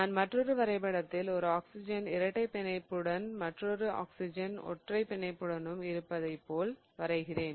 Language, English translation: Tamil, So, in this case now I can in fact draw one more in which this particular oxygen is double bonded and the other two oxygens are single bonded